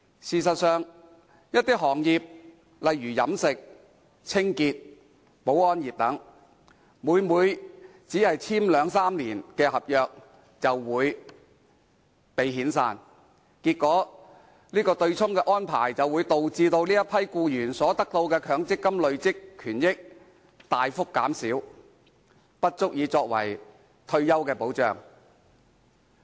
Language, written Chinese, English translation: Cantonese, 事實上，一些行業例如飲食、清潔、保安業等，每每在兩三年約滿後便被遣散，結果對沖安排導致這群僱員所得的強積金累算權益大幅減少，根本不足以作為退休保障。, In fact employees of certain industries such as catering cleaning and security are often made redundant upon the expiry of their two - or three - year contracts . Under the offsetting arrangement their MPF accrued benefits were substantially reduced and the amount remained is hardly adequate to provide retirement protection